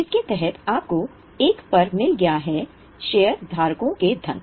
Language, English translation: Hindi, Under that you have got one that is shareholders funds